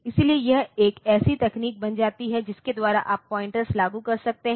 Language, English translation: Hindi, So, that way it becomes a technique by which you can imp implement pointers